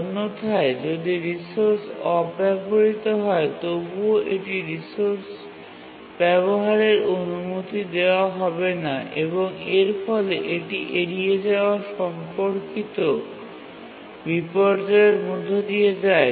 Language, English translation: Bengali, Otherwise even if the resource is unused still it will not be allowed access to the resource and we say that it undergoes avoidance related inversion